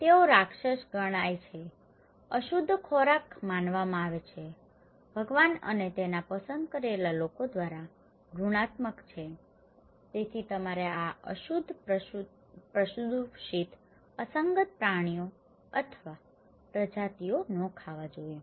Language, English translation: Gujarati, And they are considered unclean foods considered to be monster okay, abominated by the Lord and by his chosen people, so you should not eat these unclean polluted anomaly animals or species, okay